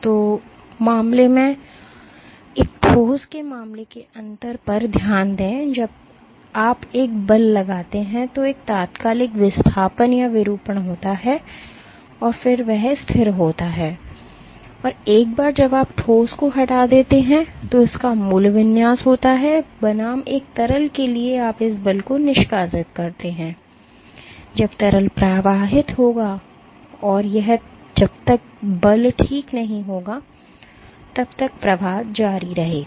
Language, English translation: Hindi, So, in case, So, note the difference in case of a solid you exert a force there is an instantaneous displacement or deformation, and then that is constant and once you remove the solid regains its original configuration, versus for a liquid you exert the force the liquid will flow and it will continue to flow till the force being exerted ok